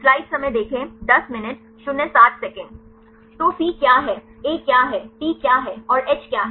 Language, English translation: Hindi, So, what is C, what is A, what is T and what is H